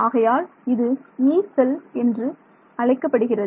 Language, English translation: Tamil, So, it is also called a Yee cell